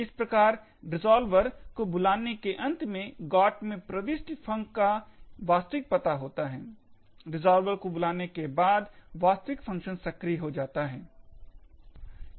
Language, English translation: Hindi, Thus, at the end of the call to the resolver, the entry in the GOT contains the actual address of func, after the call to the resolver the actual functions get invoked